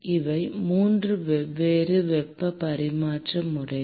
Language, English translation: Tamil, These are the 3 different modes of heat transfer